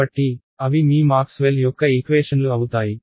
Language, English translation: Telugu, So, those are your Maxwell’s equations right